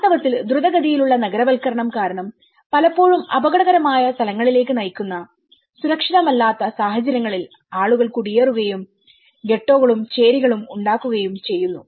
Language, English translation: Malayalam, In fact, the unsafe conditions which often result in the dangerous locations because of the rapid urbanization people tend to migrate and form ghettos and slums